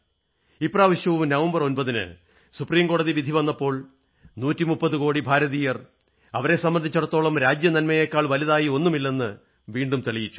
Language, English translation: Malayalam, This time too, when the Supreme Court pronounced its judgment on 9th November, 130 crore Indians once again proved, that for them, national interest is supreme